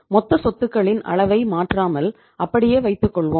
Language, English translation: Tamil, We will keep the level of total assets same